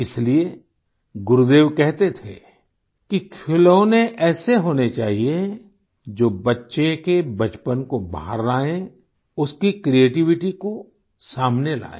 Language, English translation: Hindi, Therefore, Gurudev used to say that, toys should be such that they bring out the childhood of a child and also his or her creativity